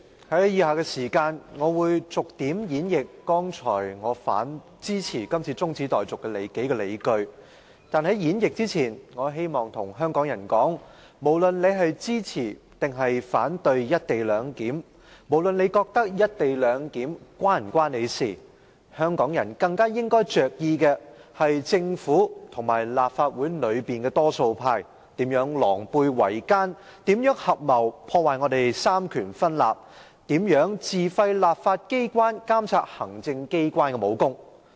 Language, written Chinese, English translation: Cantonese, 主席，在以下時間，我會逐點演繹我剛才提及支持這項中止待續議案的數項理據。但是，在演繹之前，我希望跟香港人說一番話：無論你支持或反對"一地兩檢"，無論你認為"一地兩檢"是否與你有關，香港人更應着意的是政府和立法會內的多數派如何狼狽為奸，如何合謀破壞三權分立，如何自廢立法機關監察行政機關的武功。, President next I am going to elaborate one by one on the several reasons for supporting this adjournment motion as I mentioned just now but before I do so I want to say a few words to Hong Kong people regardless of whether you support or oppose the co - location arrangement and regardless of whether you consider the co - location arrangement to be relevant to you Hong Kong people should be more concerned about how the Government and the majority camp in the Legislative Council have been in cahoots with each other how they have conspired to damage the separation of powers and how they have stripped the legislature of its function to monitor the executive authorities